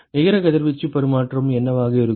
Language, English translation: Tamil, What will be the net radiation exchange